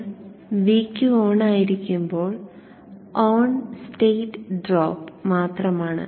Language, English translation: Malayalam, Now VQ when it on, it is just the on state drop